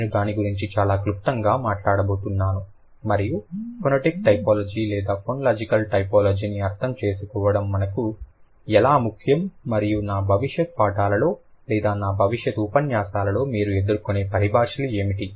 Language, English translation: Telugu, I'm going to talk about it very briefly what a syllable is and how it is important for us to understand phonetic typology or phonological typology and what are the jargons that you might encounter in the future lectures, right